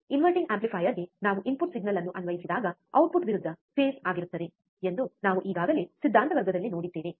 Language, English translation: Kannada, this we have already seen again in the theory class, what we have seen, that when we apply the input signal to the inverting amplifier, the output would be opposite phase